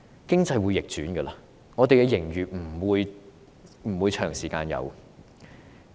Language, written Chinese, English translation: Cantonese, 經濟會逆轉，本港不會長時間有盈餘。, As economy may reverse Hong Kong will not consistently run a surplus